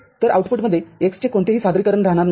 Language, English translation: Marathi, So, x has no representation in the output